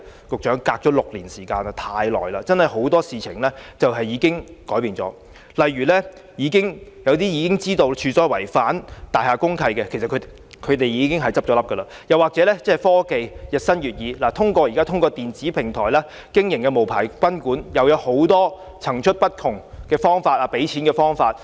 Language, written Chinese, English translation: Cantonese, 局長，事隔6年，時間實在太長，很多事情已改變了，例如一些自知違反大廈公契的賓館已經結業，又例如科技日新月異下，現在透過電子平台經營的無牌賓館有很多層出不同的付款方法。, Secretary a lapse of six years is really a very long time that many things have already changed . One example is that some guesthouses have already closed down knowing that they were in breach of DMCs . Another example is that with the rapid development of technologies a wide variety of payment methods are now available for unlicensed guesthouses operating via electronic platforms